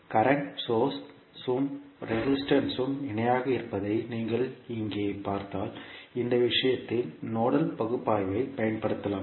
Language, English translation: Tamil, If you see here the current source and the resistances are in parallel so you can use nodal analysis in this case